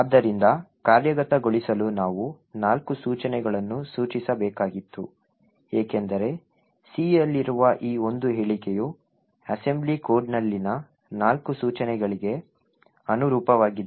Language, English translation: Kannada, So, we had to specify four instructions to be executed because this single statement in C corresponds to four instructions in the assembly code